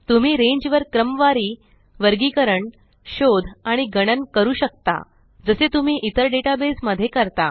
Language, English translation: Marathi, You can sort, group, search, and perform calculations on the range as you would in any database